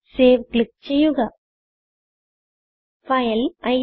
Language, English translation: Malayalam, I have saved my file as incrdecr.c